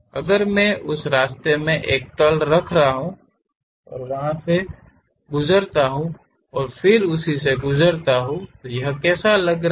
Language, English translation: Hindi, If I am having a plane in that way, pass through that and again pass through that; how it looks like